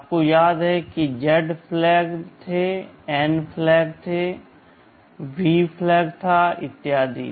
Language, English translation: Hindi, You recall there were Z flag, there were a N flag, there was a V flag and so on